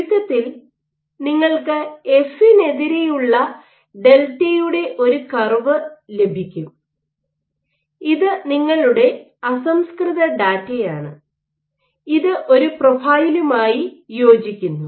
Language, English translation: Malayalam, So, if in essence you get a curve delta versus F, which is these are your raw data you fit it with a profile